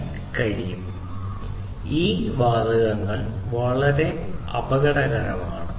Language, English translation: Malayalam, And, as you know that these gases are very dangerous, so it is very important